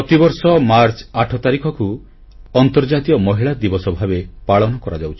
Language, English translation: Odia, Every year on March 8, 'International Women's Day' is celebrated